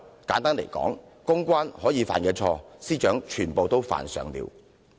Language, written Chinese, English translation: Cantonese, 簡單來說，公關會犯的錯誤，司長已經全部犯上了。, To put it simply the Secretary for Justice has made all the mistakes that a PR officer could possibly make